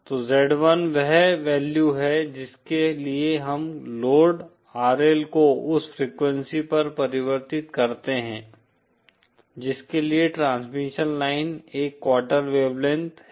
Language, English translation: Hindi, So Z 1 is the value to which we convert the load RL at the frequency for which the transmission line is a quarter wave length